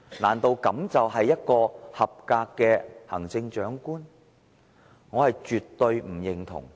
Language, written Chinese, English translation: Cantonese, 難道這就是一個合格的行政長官嗎？, Is this how a qualified Chief Executive should behave?